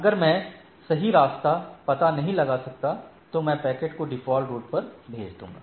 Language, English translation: Hindi, If I do not found a right route, then I may have a default path to forward the packets